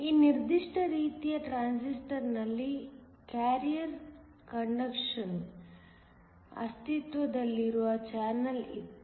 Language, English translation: Kannada, In this particular type of transistor, there was an existing channel for carrier conduction